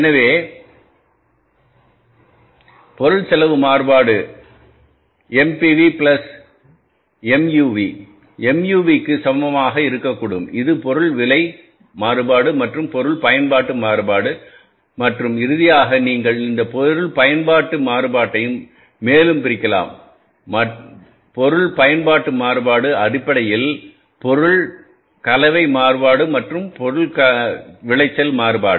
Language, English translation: Tamil, So, material variances are like say five, material cost variance, material cost variance, this is MCV, material price variance that is MPV, material usage variance that is MUV, then material mix variance that is the material mix variance and finally the material yield variance